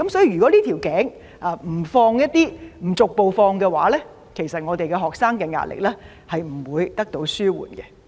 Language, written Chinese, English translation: Cantonese, 如果這個瓶頸不逐步放寬，學生的壓力不會得到紓緩。, If the bottleneck is not gradually relaxed the pressure on students will not be alleviated